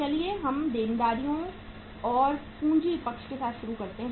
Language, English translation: Hindi, Let us start with the say uh liabilities and capital side